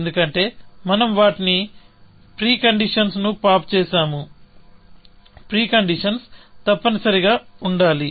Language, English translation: Telugu, Why, because we have just popped their preconditions; pre conditions must be true, essentially